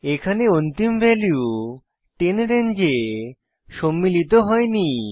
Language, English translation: Bengali, Here the end value 10 is not included in the range